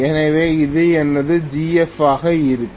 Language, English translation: Tamil, So this is going to be my ZF